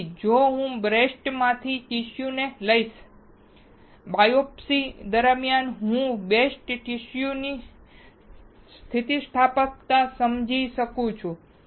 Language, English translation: Gujarati, So, if I take the tissue from the breast, during the biopsy I can understand the elasticity of the breast tissue